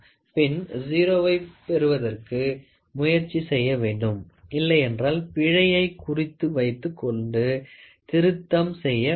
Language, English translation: Tamil, So, that you try to get the 0 0, if not you try to note down the error and do the correction